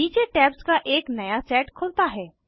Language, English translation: Hindi, A new set of tabs open below